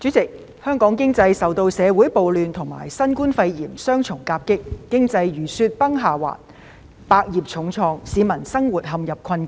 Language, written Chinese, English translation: Cantonese, 主席，香港經濟受社會暴亂及新冠肺炎雙重夾擊，經濟如雪崩下滑，百業重創，市民生活陷入困境。, President Hong Kongs economy after being dealt double blows by social riots and the novel coronavirus pneumonia has collapsed . Hundreds of industries have been severely affected and people are living in difficult circumstances